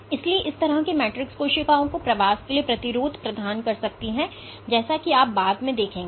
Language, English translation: Hindi, So, such a matrix might also provide resistance for cells to migrate through as you will see later